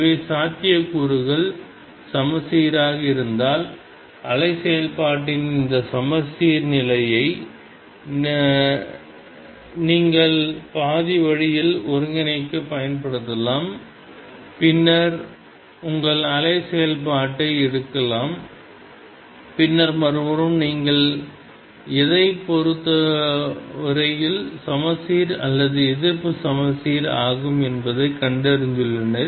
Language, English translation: Tamil, So, in the case where the potential is symmetric you can make use of this symmetry of the wave function to integrate only half way and then pick up your wave function and then the other side is exactly either symmetric or anti symmetric with respect to whatever you have found